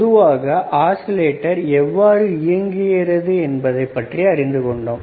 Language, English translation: Tamil, In general, now we have an idea of how oscillators would work right